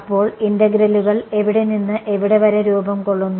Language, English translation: Malayalam, So, integrals form where to where